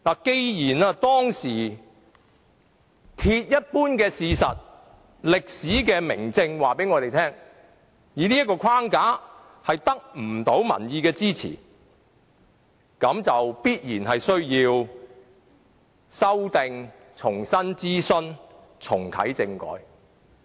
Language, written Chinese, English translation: Cantonese, 既然這是當時鐵一般的事實，歷史的明證已告訴我們，以這個框架行事將得不到民意支持，必然需要修訂，重新諮詢，重啟政改。, As it was an iron - clad truth then this proven fact in history has already shown to us that it would not be possible for us to gain public support by acting according to this framework and it would be necessary for us to make amendments conduct consultation afresh and reactivate constitutional reform